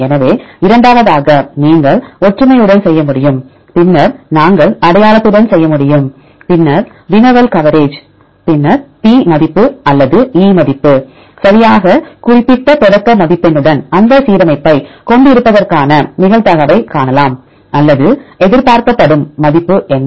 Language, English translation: Tamil, So, then second one you can do with the similarity, then we can do with the identity, then the query coverage, then p value or the e value right you can see probability of having that alignment with the specific threshold score right or what is the expected value